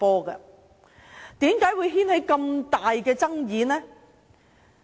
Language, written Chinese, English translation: Cantonese, 為甚麼會引起這麼大的爭議？, Why will such a heated controversy be caused?